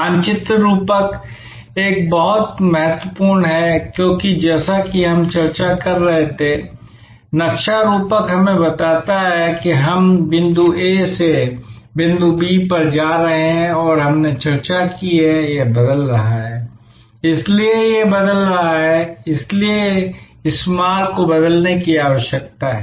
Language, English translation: Hindi, The map metaphor is very important, because as we were discussing, the map metaphor tells us, that we are going from point A to point B and we have discussed that this is changing, this is changing therefore, this route needs to change